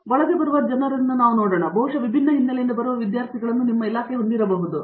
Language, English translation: Kannada, Let’s look at the people who come in, I mean presumably you may have in fact students from different backgrounds coming in